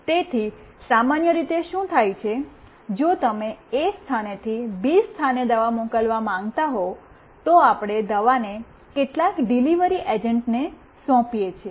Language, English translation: Gujarati, So, what is generally done, if you want to send a medicine from place A to place B, we hand over the medicine to some delivery agent